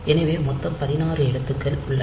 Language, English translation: Tamil, So, there are 16 characters